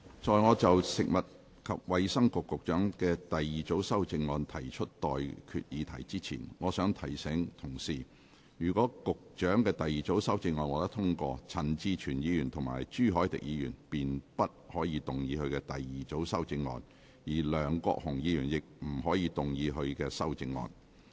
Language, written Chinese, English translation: Cantonese, 在我就食物及衞生局局長的第二組修正案提出待決議題之前，我想提醒各位，若局長的第二組修正案獲得通過，陳志全議員及朱凱廸議員便不可動議他們的第二組修正案，而梁國雄議員亦不可動議他的修正案。, Before I put to you the question on the Secretary for Food and Healths second group of amendments I wish to remind Members that if the Secretarys second group of amendments is passed Mr CHAN Chi - chuen and Mr CHU Hoi - dick may not move their second group of amendments and Mr LEUNG Kwok - hung may not move his amendment either